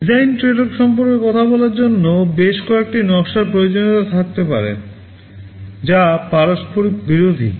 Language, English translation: Bengali, Talking about design tradeoffs, there can be several design requirements that are mutually conflicting